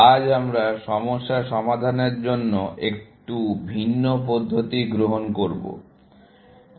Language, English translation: Bengali, Today, we take a slightly different approach to problem solving